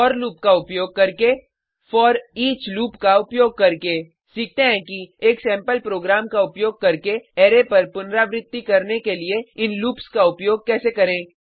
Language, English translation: Hindi, There are two ways of looping over an array Using for loop Using foreach loop Lets learn how to use these loops to iterate over an array using a sample program